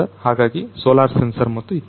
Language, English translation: Kannada, So, this is the solar sensors a sun sensor and so on